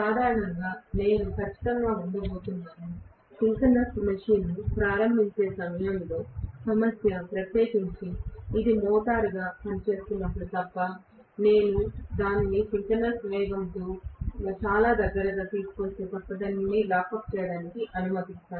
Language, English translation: Telugu, So, generally I am going to have definitely, you know a problem of starting in the synchronous machine, especially when it is working as a motor unless I kind of bring it very close to the synchronous speed and then allow it to lock up